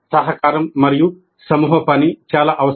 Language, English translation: Telugu, Collaboration and group work is very essential